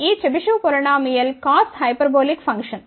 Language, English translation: Telugu, This Chebyshev polynomial is nothing, but cos hyperbolic function, ok